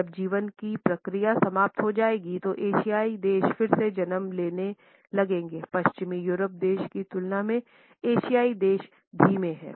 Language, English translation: Hindi, When the process of life ends the Asian countries will start at birth again, the Asian countries are slower paced and the western European countries